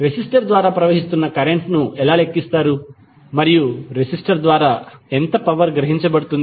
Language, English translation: Telugu, How you will calculate the current through resistor and power absorb by the resistor